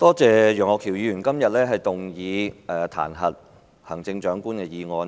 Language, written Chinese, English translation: Cantonese, 多謝楊岳橋議員今天提出這項彈劾行政長官的議案。, I thank Mr Alvin YEUNG for proposing the motion today to impeach the Chief Executive